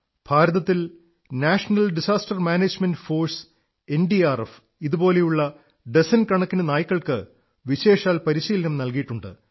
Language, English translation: Malayalam, In India, NDRF, the National Disaster Response Force has specially trained dozens of dogs